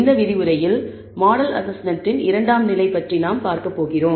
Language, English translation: Tamil, In this lecture, we are going to look at the second level of model assessment